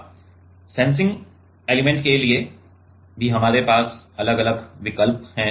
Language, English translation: Hindi, Now, for sensing element also we have different options